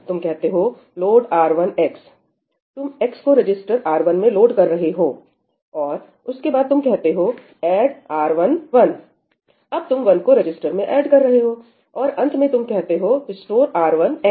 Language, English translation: Hindi, you will say ëload x to R1í, right, you are loading x into register R1; and then you say ëadd one to R1í, right, so you are adding one in the register; and finally, you will say ëstore R1 back to xí